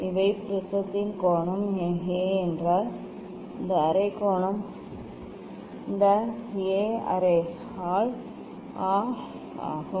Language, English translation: Tamil, If these the angle of the prism is A this half angle half angle this A by 2